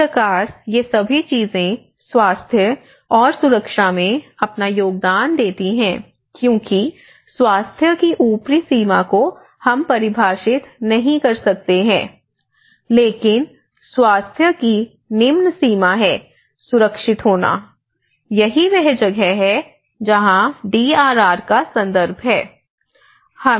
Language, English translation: Hindi, This is how these all set of things contribute that health and safety itself because the upper limit of health we cannot define, but the lower limit of health is at least we are alive, you know that is lower limit of being safe, that is where the DRR context